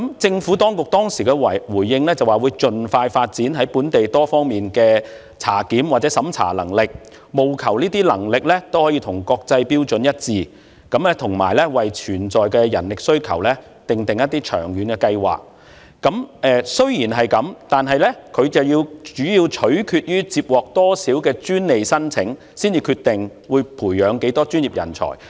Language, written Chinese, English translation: Cantonese, 政府當局當時的回應是，會盡快發展本地在多方面科技的檢查及審查能力，務求符合國際標準，以及為潛在人力需求訂立一些長遠計劃，但政府會視乎接獲多少專利申請，才決定會培養多少專業人才。, The Government responded that it would speed up the development of Hong Kongs capability to conduct reviews and examination in line with international standards and formulate long - term plans for meeting potential demand for manpower . However the size of the workforce will depend on the number of patent applications received